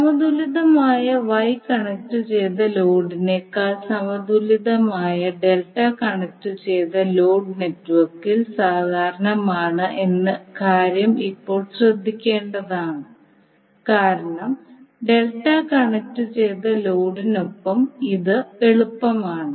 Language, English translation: Malayalam, Now it is important to note here that the balanced delta connected load is more common in the network than the balanced Y connected load, because it is easy with the delta connected load that you can add or remove the load from each phase of the delta connected load